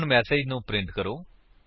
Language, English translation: Punjabi, Now Let us print the message